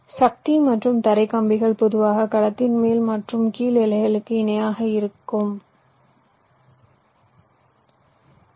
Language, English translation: Tamil, the power and ground rails typically run parallel to upper and lower boundaries of the cells